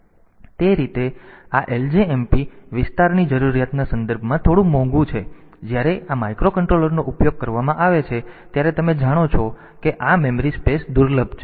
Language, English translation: Gujarati, So, that way this ljmp is slightly costly in terms of the area requirement and when this microcontroller is being used you know that this memory space is scarce